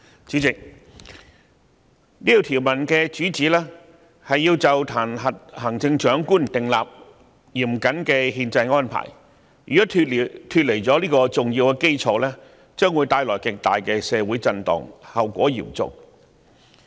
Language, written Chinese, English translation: Cantonese, "主席，這項條文旨在就彈劾行政長官訂立嚴謹的憲制安排，如果脫離了這個重要基礎，將會造成極大的社會震盪，後果相當嚴重。, President this article of the Basic Law seeks to set out meticulous and stringent constitutional arrangements for the impeachment of the Chief Executive . Non - adherence to this important basis will bring about extremely strong repercussions in society with very grave consequences